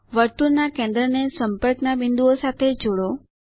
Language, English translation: Gujarati, Join centre of circle to points of contact